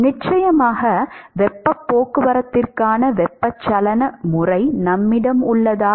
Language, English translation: Tamil, Do we have convective mode of heat transport of course